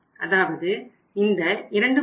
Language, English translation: Tamil, So it means this is 2